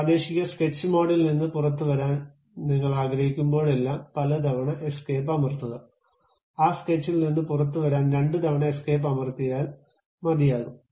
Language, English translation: Malayalam, Whenever you would like to come out of that sketch the local sketch mode, you press escape several times; twice is good enough to come out of that sketch